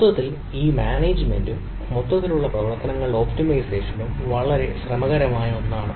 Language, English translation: Malayalam, so, overall, this management and optimization of this overall operations is a very tricky one